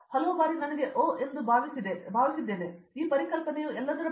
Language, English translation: Kannada, Many times I felt oh that’s all, this concept is all about